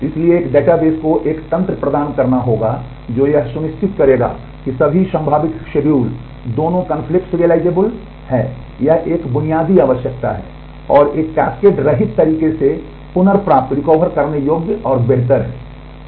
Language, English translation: Hindi, So, a database must provide a mechanism that will ensure all possible schedules are both conflict serializable, that is a basic requirement and are recoverable and preferable in a cascade less manner